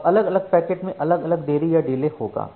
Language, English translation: Hindi, Now, individual packets will have individual delay